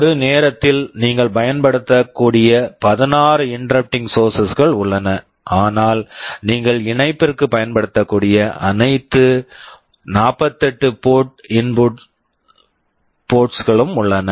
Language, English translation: Tamil, There are 16 interrupting sources you can use at a time, but all the 48 port inputs you can use for the connection